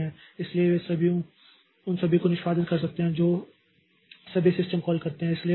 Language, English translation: Hindi, So, when all of them can execute, all of them can realize all the system calls